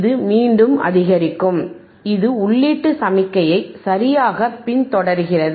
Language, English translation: Tamil, the It is increasing again, it is following the input signal right